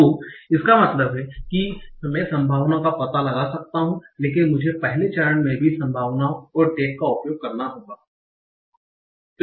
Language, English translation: Hindi, So that means I can find out the probabilities but I have to use the probabilities and the tax in the next step also